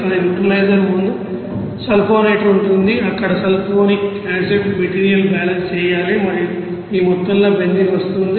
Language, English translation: Telugu, But before neutralizer there will be sulfonator there also you have to do the material balance here sulfuric acid coming this amount and benzene is coming here after evaporator